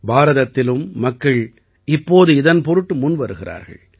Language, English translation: Tamil, In India too, people are now coming forward for this